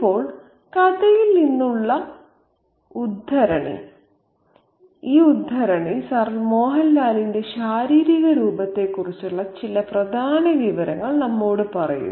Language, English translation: Malayalam, Now, this excerpt from the story tells us some important information as to the physical appearance of Sir Mohan Lal